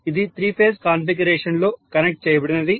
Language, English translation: Telugu, So this will be connected in three phase configuration